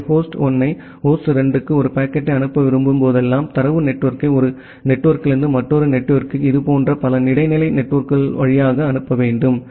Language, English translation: Tamil, So, whenever you want to forward a packet from say host 1 to host 2, you need to forward the data packet from one network to another network via multiple other such intermediate networks